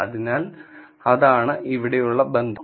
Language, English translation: Malayalam, So, that is the connection here